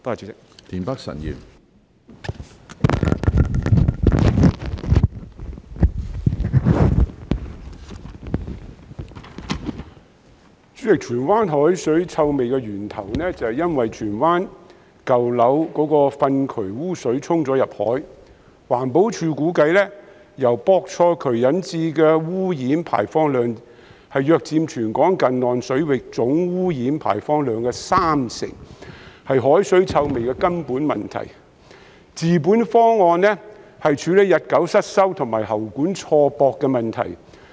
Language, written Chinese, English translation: Cantonese, 主席，荃灣海水臭味的源頭是因為荃灣舊樓的糞渠污水流入大海，環境保護署估計由錯駁渠管引致的污染排放量約佔全港近岸水域總污染排放量的三成，是海水臭味的根本問題，治本方案是處理日久失修和喉管錯駁的問題。, President the source of the seawater odour in Tsuen Wan is the sewage flowing from dung channels in old buildings in Tsuen Wan into the sea . The Environmental Protection Department EPD estimates that the pollution discharge from misconnected drains accounts for about 30 % of the total pollution discharge into inshore waters in Hong Kong . It is the root of the seawater odour problem